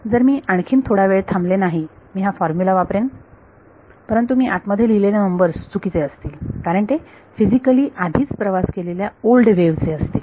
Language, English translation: Marathi, Not if I wait for more time I will use this formula, but the numbers that I put inside will be wrong because there will refer to old wave has already travelled physically